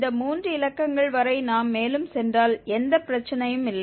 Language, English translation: Tamil, If we go further up to these 3 digits there is no problem